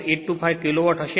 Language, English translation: Gujarati, 825 kilo watt right